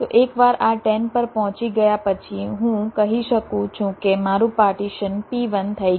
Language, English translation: Gujarati, so once this ten is reached, i can say that my partition p one is done